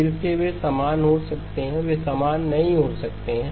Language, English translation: Hindi, Again, they can be equal, they may not be equal